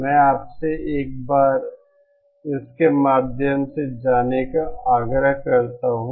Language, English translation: Hindi, I urge you to go through it once